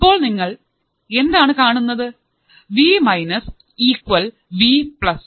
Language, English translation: Malayalam, Now, I know Vplus right because Vminus equals to Vplus